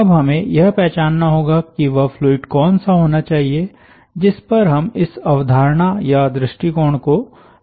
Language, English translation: Hindi, now we have to identify that what should be that fluid over which we apply that concept or approach